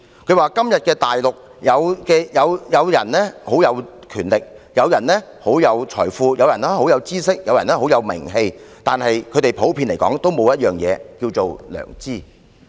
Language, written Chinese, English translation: Cantonese, 他說，今天的大陸有人很有權力，有人很有財富，有人很有知識，有人很有名氣，但普遍來說，他們均沒有一樣東西，就是良知。, He said that nowadays there are people who are very powerful wealthy knowledgeable and reputable in the Mainland but they generally in lack one thing―conscience